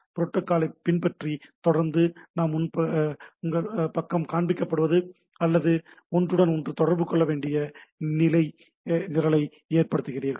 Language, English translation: Tamil, So long again following the protocol, but end of the day your page get displayed, or you write a program which can communicate to each other each other